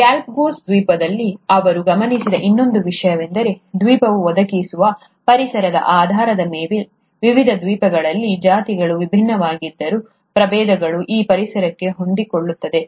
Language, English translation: Kannada, The other thing that he observed as he found in the Galapagos Island, is that though the species were different in different islands, based on the environment which was being provided by the island, the species could adapt to that environment